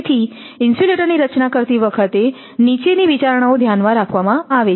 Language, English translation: Gujarati, While designing the insulator the following consideration are made